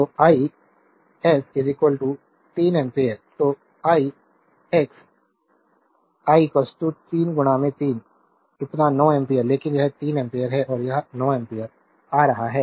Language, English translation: Hindi, So, i s is equal to 3 ampere so, i x i is equal to 3 into 3 so, 9 ampere, but this is 3 ampere and this is coming 9 ampere